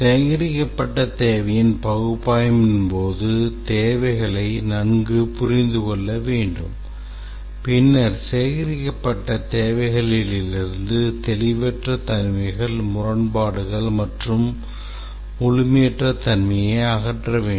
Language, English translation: Tamil, During the analysis of the gathered requirement must understand the gathered requirements well and then remove the ambiguities, inconsistencies and incompleteness from the gathered requirements